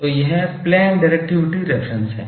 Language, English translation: Hindi, So, this plane is the directivity reference